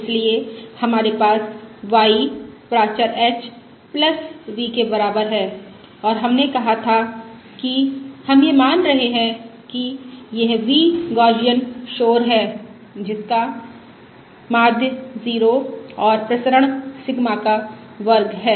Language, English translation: Hindi, So we have: y equals the parameter h plus v and we said we are going to assume that this v is Gaussian noise with mean 0 and variance, Sigma, square